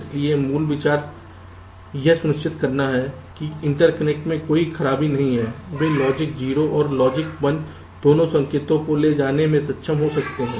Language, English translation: Hindi, so the basic idea is to ensure that there is no fault in the interconnections and they can be able to carry both logic zero and logic one signals